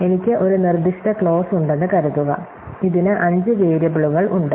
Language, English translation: Malayalam, So, supposing I have a given clause, which has five variables like this